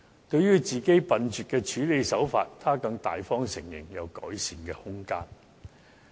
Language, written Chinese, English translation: Cantonese, 對於自己笨拙的處理手法，她更大方承認有改善的空間。, Concerning her botched approach she admitted that there was room for improvement